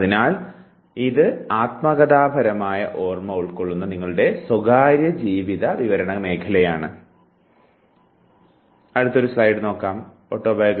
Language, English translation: Malayalam, So, it somewhere likes your personal life narrative that constitutes the autobiographical memory